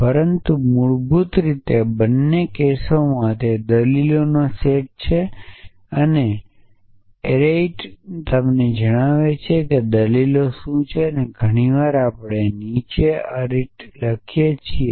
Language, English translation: Gujarati, But basically in both the cases they take a set of arguments and the arity tells you what the arguments are so very often we write the arity below